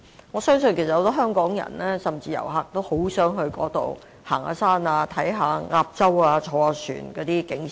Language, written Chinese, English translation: Cantonese, 我相信很多香港人甚至遊客也很想前往該處遠足、遊覽鴨洲或乘船欣賞景色。, I believe many Hongkongers and even tourists would love to go there for hiking and visiting Ap Chau or taking a boat trip for sightseeing